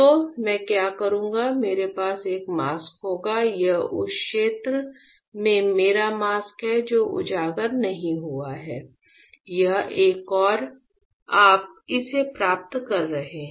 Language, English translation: Hindi, So, what I will do is; I will have a mask this is my mask in the area which is not exposed; this one, this one and this one you getting it